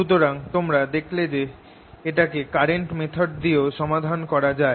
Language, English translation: Bengali, so you see, i could have solved this problem using the current method